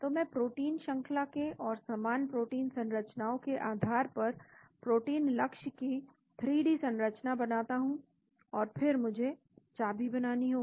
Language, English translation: Hindi, So, I build the 3D structure of the protein target based on the protein sequence and based on similar protein structures and then I build the key